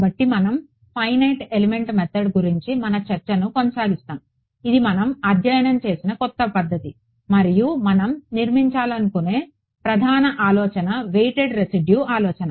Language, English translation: Telugu, \ So, we will continue our discussion of the Finite Element Method which is the new method which have been studying and the main idea that we want to sort of start building on is this weighted residual idea right